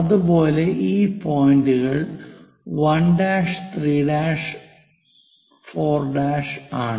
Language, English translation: Malayalam, So, this is the way 1, 2, 3, 4, 5